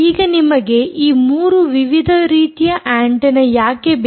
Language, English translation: Kannada, now, why do you need these three different types of antenna